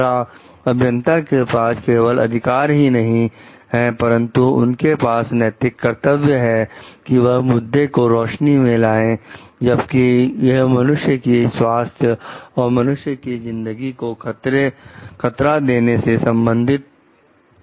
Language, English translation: Hindi, Secondly, the engineer is not only have a right, but they do have a moral obligation to bring the matter to light when it is a concern of human health and or human life which is getting threatened